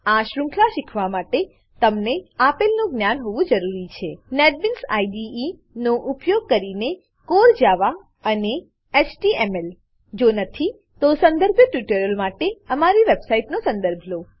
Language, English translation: Gujarati, To learn this series, you must have knowledge of Core Java using Netbeans IDE and HTML If not, for relevant tutorials please visit our website